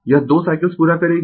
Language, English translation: Hindi, It will complete 2 cycles right